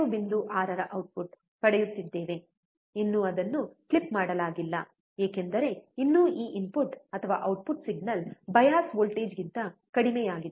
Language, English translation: Kannada, 6, still it is not clipped, because, still this input or the output signal is less than the bias voltage